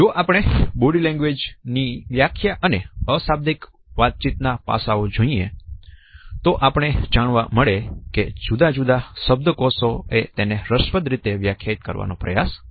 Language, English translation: Gujarati, If we look at the definitions of body language or the nonverbal aspects of communication, we find that different dictionaries have tried to define them in interesting manner